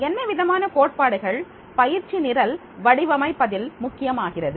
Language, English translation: Tamil, What type of the theories are important in designing the training program